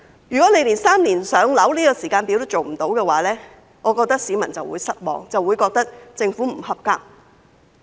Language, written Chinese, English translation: Cantonese, 如果連"三年上樓"的時間表也做不到，我認為市民會很失望，亦會覺得政府不合格。, If the target of three - year waiting time for PRH cannot be achieved I think the public will be very disappointed and they will consider the Governments performance unsatisfactory